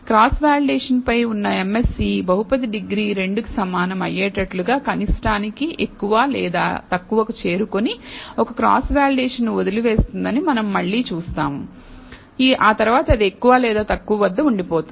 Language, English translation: Telugu, Again we see that the mse on the cross validation leave one out cross validation reaches more or less the minimum for a degree of the polynomial equal to 2, after which it just keeps remains more or less at